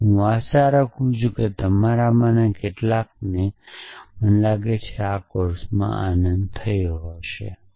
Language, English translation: Gujarati, And I hope some of you at least enjoyed the course I think so